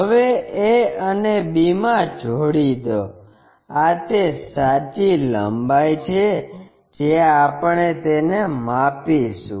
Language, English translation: Gujarati, Now, join a and b, this is true length we will measure it